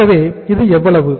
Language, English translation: Tamil, So this is how much